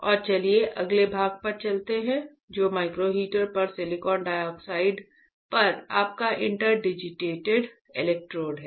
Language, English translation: Hindi, And let us go to the next section which is your Interdigited Electrodes on Silicon Dioxide on Microheater, right